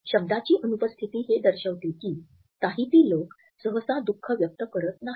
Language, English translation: Marathi, This absence of a word reflects that Tahitians do not typically express sadness